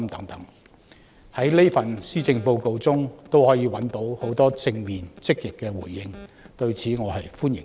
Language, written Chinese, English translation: Cantonese, 對於我的建議，在這份施政報告中可以找到很多正面和積極的回應，我是歡迎的。, In the Policy Address there are many positive and proactive responses to my recommendations which I welcome